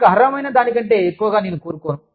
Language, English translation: Telugu, I do not want to get more than, i deserve